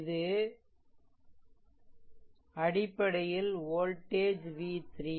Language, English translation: Tamil, So, this is basically voltage v 3 right